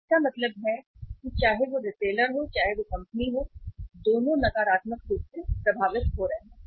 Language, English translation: Hindi, So it means whether it is retailer, whether it is company, both are negatively getting affected